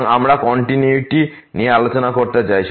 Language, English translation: Bengali, So, we want to discuss the continuity